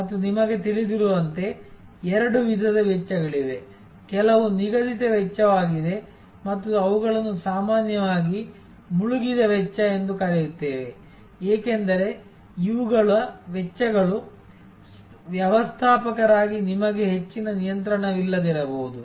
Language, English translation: Kannada, And as you know, there are two types of costs, some are fixed cost, we often call them sunk costs, because these are costs on which as a manager you may not have much of control